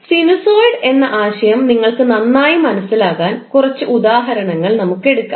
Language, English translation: Malayalam, Now let's take a few examples so that you can better understand the concept of sinusoid